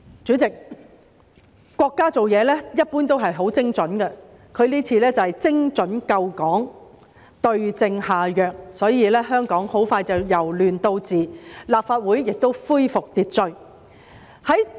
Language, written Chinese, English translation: Cantonese, 主席，國家做事一般都很精準，這次便是精準救港，對症下藥，所以香港很快便"由亂到治"，立法會亦恢復秩序。, President our country is usually very precise in its actions and this time it has saved Hong Kong with precision by prescribing the right remedy which is why Hong Kong has quickly turned from chaos to governance and order has been restored to the Legislative Council